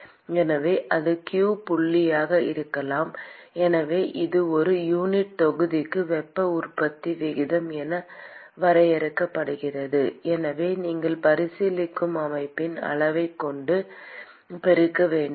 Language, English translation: Tamil, So, that could be q dot so this is defined as rate of heat generation per unit volume; so therefore you have to multiply by the volume of the system that you are considering